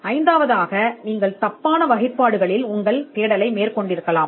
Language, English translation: Tamil, Fifthly, you could be searching in the wrong classes